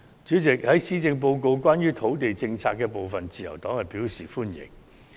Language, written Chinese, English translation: Cantonese, 主席，對於施政報告有關土地政策的部分，自由黨表示歡迎。, President the Liberal Party welcomes the part of land policy in the Policy Address